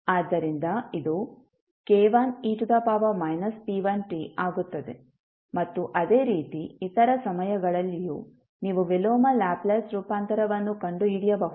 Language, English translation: Kannada, So, this will become k1 into e to the power minus p1t and similarly, for other times also you can find out the inverse Laplace transform